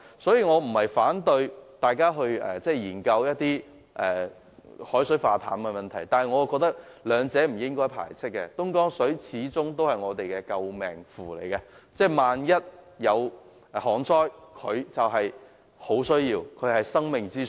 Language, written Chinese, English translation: Cantonese, 所以，我並非反對大家研究海水化淡技術，但我認為兩者是不應互相排斥的，東江水始終也是我們的救命符，萬一出現旱災，我們便會很需要它，它就是生命之水。, I am not against the development of desalination technology but I think the two alternatives should not be mutually exclusive . Dongjiang water is always our lifeline . In case of drought we will need it and it will become water of life